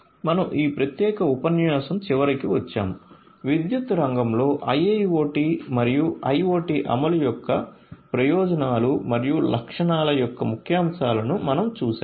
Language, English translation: Telugu, So, we come to the end of this particular lecture, we have seen highlights of the benefits and features of implementation of IIoT and IoT in the power sector